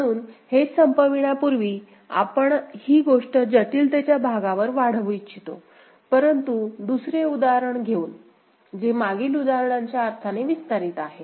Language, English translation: Marathi, So, before we end, we would like to extend this thing on the complexity part, but by bringing another example which is in a sense extension of the previous example